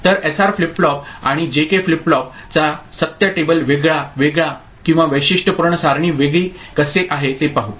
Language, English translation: Marathi, So, how SR flip flop and J K flip flop you know truth table differ or characteristic table differ